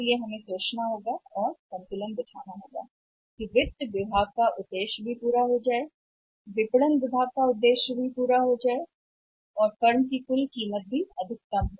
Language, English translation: Hindi, So, we may have to think that there has to be trade of the marketing departments objective is also met and finance department objective is also met and firms overall value is maximized